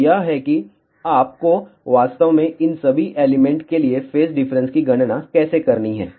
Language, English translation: Hindi, So, this is how you actually have to calculate the phase difference for all these element